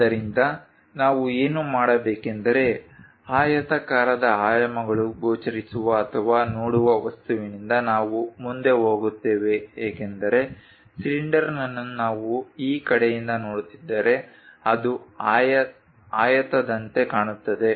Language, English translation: Kannada, So, what we do is we go ahead from the object where rectangular dimensions are visible or views because a cylinder if we are looking from one of the view like this side, it behaves like or it looks like a rectangle